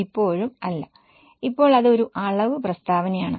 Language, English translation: Malayalam, Yes, now it is a quantitative statement